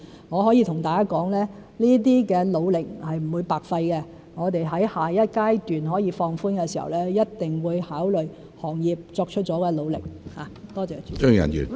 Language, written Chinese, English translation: Cantonese, 我可以跟大家說，這些努力是不會白費的，我們在下一階段可以放寬時，一定會考慮行業作出了的努力。, I can tell everyone that these efforts will not be in vain . We will definitely consider the efforts made by the industries when the restrictions can be relaxed in the next stage